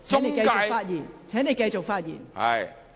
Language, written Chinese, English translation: Cantonese, 梁議員，請繼續發言。, Mr LEUNG please continue to speak